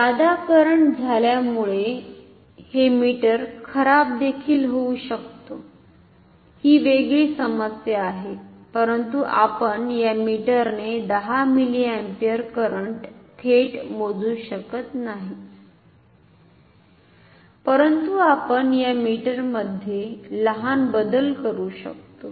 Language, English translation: Marathi, The meter can also get damaged because of excess current that is a different issue, but also we cannot measure more than 10 milliampere current directly with this meter, but we can do small alteration in the this meter